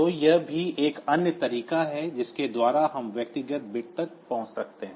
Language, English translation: Hindi, So, that is also the other way by which we can do this we can access this individual bits